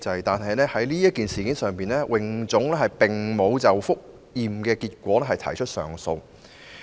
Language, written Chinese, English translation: Cantonese, 不過，在此事上，泳總沒有就覆檢結果提出上訴。, But on this matter HKASA did not file an appeal against the review outcome